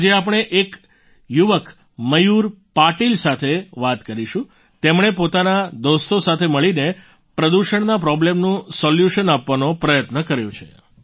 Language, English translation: Gujarati, Today we will talk to a young Mayur Patil, he along with his friends have tried to put forward a solution to the problem of pollution